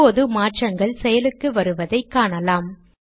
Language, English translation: Tamil, Now we can see that changes are applying